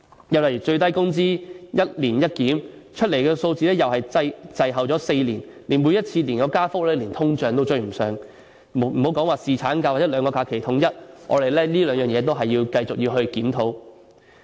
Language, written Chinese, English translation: Cantonese, 有關最低工資，說是"一年一檢"，但出來的數字卻又滯後4年，而每次的加幅連通脹也追不上，更莫說侍產假或統一兩種假期制度，我們在這兩方面仍須繼續檢討。, In regard to minimum wage the authorities have undertaken to review it once a year but the figures were seen to have lagged four years behind with every rate of increase unable to catch up with inflation . Needless to say it is also difficult to strive for paternity leave or standardizing the two holiday systems the two aspects which we still have to review continuously